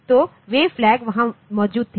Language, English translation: Hindi, So, those flags were there